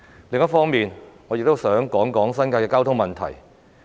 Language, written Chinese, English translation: Cantonese, 另一方面，我亦想談談新界的交通問題。, On a different note I would also like to discuss the transport problems in the New Territories